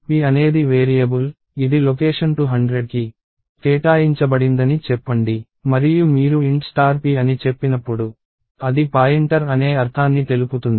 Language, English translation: Telugu, So, let us say p as a variable is allocated location 200 and when you say int star p, it means it is a pointer